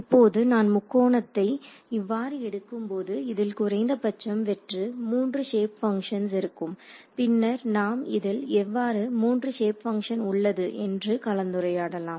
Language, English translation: Tamil, Now, when I take a triangle like this right the bare minimum would be 3 shape functions, then we will discuss how there are 3 shape functions right